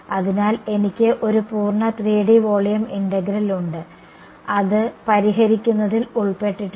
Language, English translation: Malayalam, So, then I have a full 3D volume integral which is fairly involved to solve ok